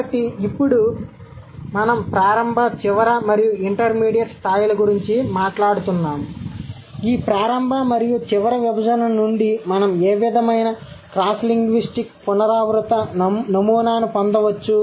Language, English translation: Telugu, So, now since we were talking about the initial, final and intermediate levels, what sort of cross linguistic recurrent pattern we can draw from this initial and final division